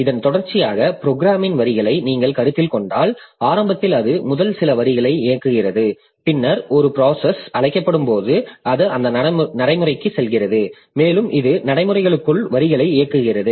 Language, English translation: Tamil, So, if you consider the sequential lines of programs, then initially if it executes first few lines, then after some time when a procedure is called, so it is going to that procedure and it is executing lines within the procedure